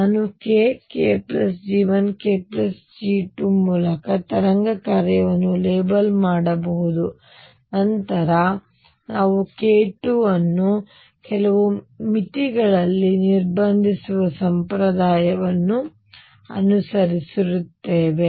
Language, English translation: Kannada, So, I could label the wave function by either k k plus G 1 k plus G 2 and then we follow a convention that we restrict k 2 within certain boundaries